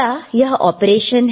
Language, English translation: Hindi, Is it operation